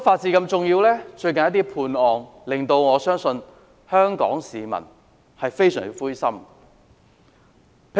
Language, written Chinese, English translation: Cantonese, 最近一些案件的判刑，我相信令香港市民非常灰心。, The sentences passed in some recent cases I believe have deeply frustrated the Hong Kong public